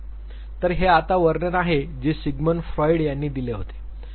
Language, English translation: Marathi, So, this is now description that was given by Sigmund Freud